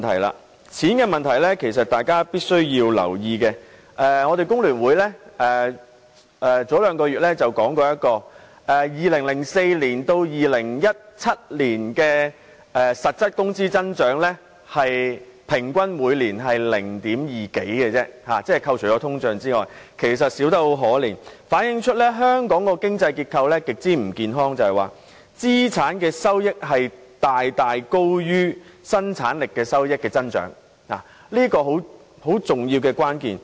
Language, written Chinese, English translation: Cantonese, 關於錢的問題，其實大家必須留意，香港工會聯合會在兩個月前公布由2004年至2017年，在扣除通脹後，每年實質工資平均只有 0.2 多個百分點的增長，其實少得可憐，反映香港的經濟結構極不健康，即是說資產收益遠高於生產力收益的增長，而這是很重要的關鍵。, We must note that the Hong Kong Federation of Trade Unions FTU announced two months ago that from 2004 to 2017 in real terms after discounting inflation wages had grown by only a little more that 0.2 % per year . Such a low growth rate was miserable . This reflects that the economic structure of Hong Kong is extremely unhealthy profits generated by capital is very much higher than the growth of income earned by the productive force